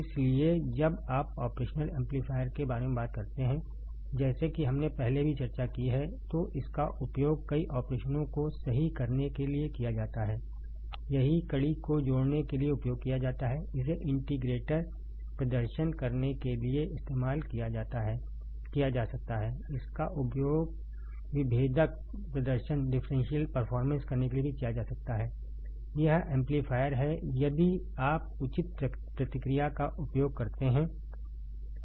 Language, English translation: Hindi, So, when you talk about operational amplifier like we have discussed earlier also, it is used to perform several operations right; it is used to perform summing there is summer, it can be used to perform integrator, it can be used to perform differentiator right it is also amplifier if you use proper feedback